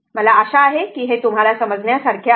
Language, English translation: Marathi, I hope this is understandable to you